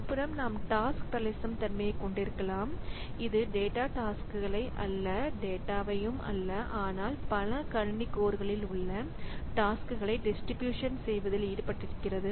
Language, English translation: Tamil, On the other hand, we can have task parallelism also that involves distributing not data tasks, not data, but tasks across the multiple computing codes